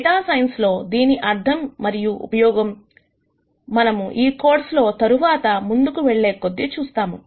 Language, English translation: Telugu, The interpretation for this and the use for this in data science is something that we will see as we go along this course later